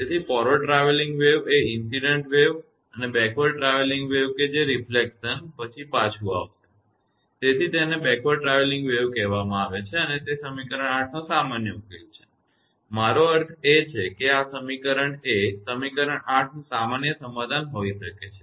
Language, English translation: Gujarati, So, forward travelling wave is incident wave and backward travelling wave is after reflection it will come back, so it is called backward travelling wave right and therefore the general solution of equation 8, I mean this equation general solution of equation 8 right, can be expressed as v x t is equal to v f plus v b right